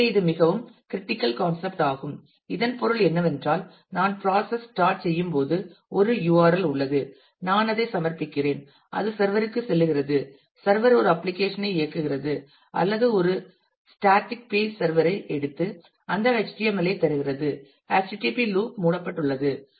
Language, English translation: Tamil, So, this is a very very critical concept and it means that once I start the process I have an URL; I submit that and that goes to the server the server runs an application or it is a static page server picks up and returns me that HTML; the http loop is closed